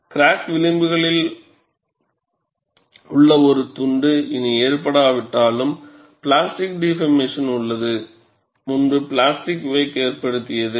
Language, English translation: Tamil, A strip of material along the crack edges, though no longer loaded, but has undergone plastic deformation previously, constitutes the plastic wake